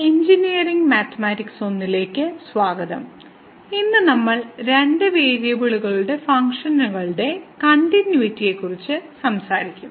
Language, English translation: Malayalam, Welcome to engineering mathematics 1 and today we will be talking about a Continuity of Functions of two Variables